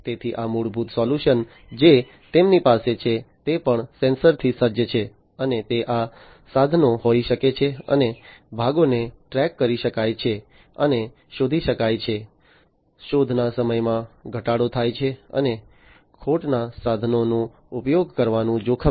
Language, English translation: Gujarati, So, these basic the solution that they have is also sensor equipped, and they can be these tools and parts can be tracked and traced, there is reduction in searching time, and risk for using wrong tools